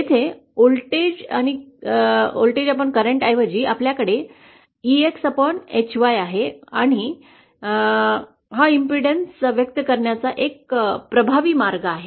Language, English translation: Marathi, So here instead of voltage divided current, we have EX divided by HY and this is also an effective way of expressing impedance